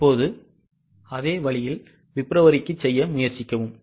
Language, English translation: Tamil, Now same way try to do it for Feb